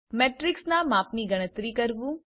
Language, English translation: Gujarati, Calculate size of a matrix